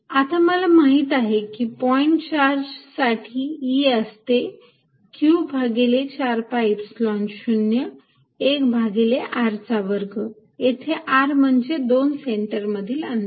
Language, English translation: Marathi, now i know for a point: charge e is q over four pi epsilon zero one over r square, where r is a distance from the center